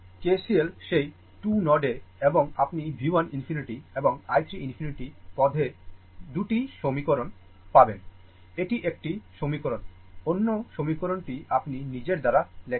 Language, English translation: Bengali, Your KCL at that 2 node and you will get 2 equation in terms of V 1 infinity and V 2 infinity this is one equation another equation you write of your own right